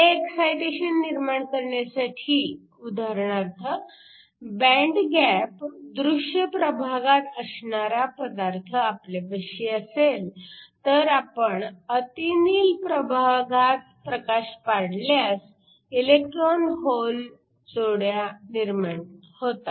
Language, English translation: Marathi, In order to create this excitation for example, if you have a material with a band gap in the visible region you could shine light in the ultra violet region, which creates electron hole pairs